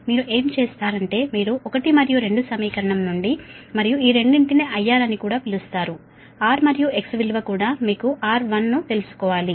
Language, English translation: Telugu, what you will do is that you from equation one and two, and these two are known, i r is also known, r and x value is also known